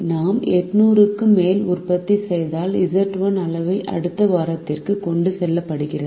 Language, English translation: Tamil, if we produce more than eight hundred, the quantity z one is carried to the next week